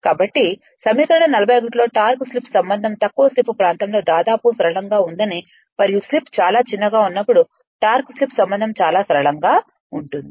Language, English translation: Telugu, So, equation 41 it can be observed that the torque slip relationship is nearly linear in the region of low slip and when slip is very small then torque slip relationship is quite your linear right